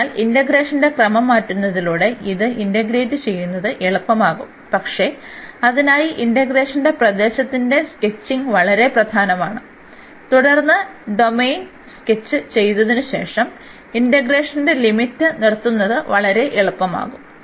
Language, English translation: Malayalam, So, by changing the order of integration it becomes easier to integrate, but for that the sketching of the region of integration is very important and then putting the limit of the integration after sketching the domain it becomes much easier